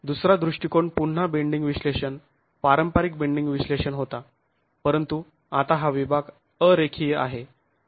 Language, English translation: Marathi, The second approach was again bending analysis, conventional bending analysis but the section now is non linear